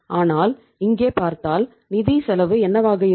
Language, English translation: Tamil, But if you see here what will be the financial cost